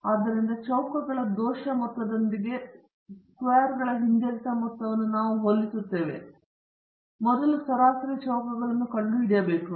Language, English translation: Kannada, So, we compare the regression sum of squares with the error sum of squares and not immediately, we first have to find the mean squares